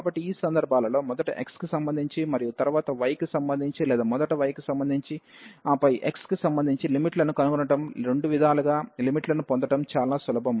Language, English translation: Telugu, So, in these cases finding the limits whether first with respect to x and then with respect to y or with respect to y first, and then with respect to x, in either way it is simple to get the limits